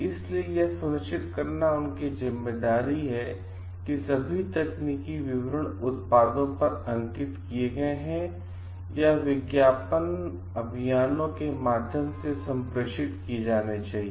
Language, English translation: Hindi, So, they have the responsibility to ensure that all technical details are mentioned on the products or communicated via the ad campaigns it should be true